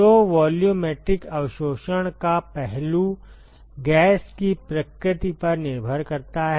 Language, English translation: Hindi, So, the aspect of volumetric absorption depends upon the nature of the gas